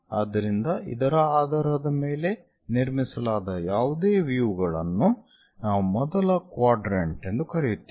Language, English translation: Kannada, So, any views constructed based on that we call first quadrant